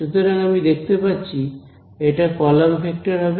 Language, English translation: Bengali, So, I can see so this will be a column vector over here